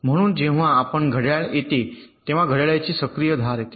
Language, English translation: Marathi, so you see, whenever a clock comes, the active edge of the clock comes